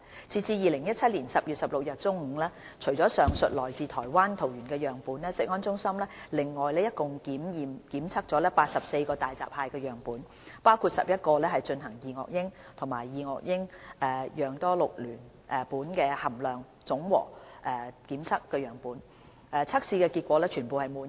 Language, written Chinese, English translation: Cantonese, 截至2017年10月16日中午，除了上述來自台灣桃園的樣本外，食安中心另外共檢測了84個大閘蟹樣本，包括11個進行二噁英及二噁英含量總和檢測的樣本，測試結果全部滿意。, As of noon on 16 October 2017 in addition to the sample from Taoyuan Taiwan CFS has tested another 84 hairy crab samples including 11 samples tested for dioxins and dioxin - like PCBs . The testing results of those other samples are satisfactory